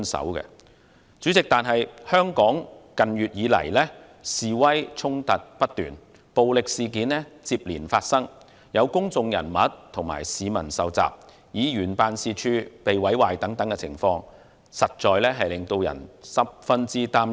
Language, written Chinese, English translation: Cantonese, 然而，主席，香港近月以來示威衝突不斷，暴力事件接連發生，有公眾人物和市民受襲，也有議員辦事處遭人毀壞，種種情況，實在令人十分擔憂。, However President demonstration activities in recent months have resulted in incessant clashes and violent incidents in Hong Kong with some public figures and members of the public being attacked some members offices being vandalized . All these are really worrying developments